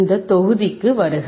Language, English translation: Tamil, Welcome to this module